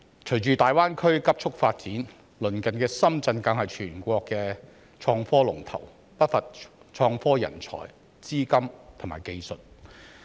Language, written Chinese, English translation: Cantonese, 隨着大灣區急速發展，鄰近的深圳更是全國的創科龍頭，不乏創科人才、資金和技術。, Following the rapid development of the Greater Bay Area the neighbouring Shenzhen has even become the leader in innovation and technology in the country with abundant related talent capital and technology